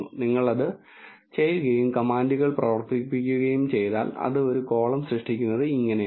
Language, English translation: Malayalam, If you do that and if you run the commands this is how it creates a column